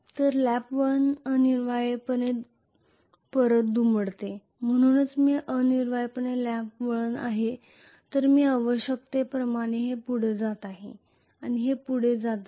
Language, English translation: Marathi, So lap winding essentially folds back, so this is essentially lap winding whereas I am going to have essentially this is going progressively further and further